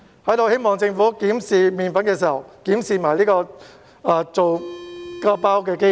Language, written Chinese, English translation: Cantonese, 在此希望政府檢視"麵粉"的時候，也一併檢視製造"麵包"的機器。, I hope that when the Government examine the flour it will also examine the machine for making bread as well